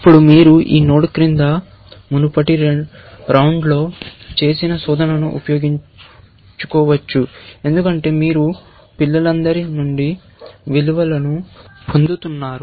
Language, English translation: Telugu, Now, you can exploit the search that you did in the previous round, below this node, because you are getting values from the all the children